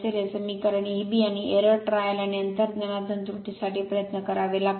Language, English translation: Marathi, This equation little bit and error trial and error from your intuition you have to try right